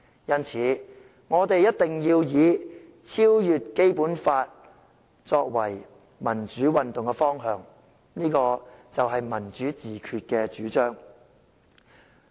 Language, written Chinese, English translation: Cantonese, 因此，我們一定要以超越《基本法》作為民主運動的方向，這就是"民主自決"的主張。, Therefore we must make transcending the Basic Law as the direction for the democratic movement and it is the advocacy of democratic self - determination